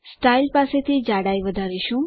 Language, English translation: Gujarati, From style we increase the thickness